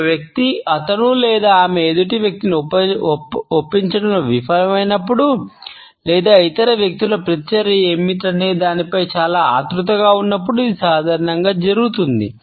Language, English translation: Telugu, It is usually done by a person when he or she fails to convince the other person or is too anxious about what is likely to be the reaction of the other people